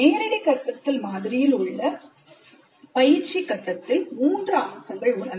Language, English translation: Tamil, Practice phase of direct instruction model has three aspects